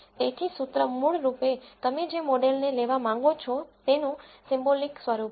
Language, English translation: Gujarati, So, formula is basically a symbolic representation of the model you want to t